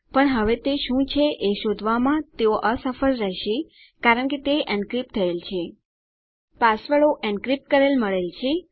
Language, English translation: Gujarati, But now they wont be able to find what it is because thats encrypted